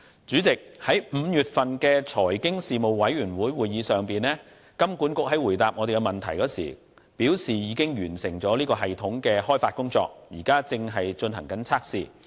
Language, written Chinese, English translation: Cantonese, 主席，在5月份的財經事務委員會會議上，金管局回答問題時表示，已經完成系統的開發工作，現正進行測試。, President in response to questions at the meeting of the Panel on Financial Affairs in May HKMA stated that the development process has been completed and the system is under testing